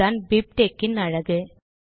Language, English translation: Tamil, That is the beauty of BibTeX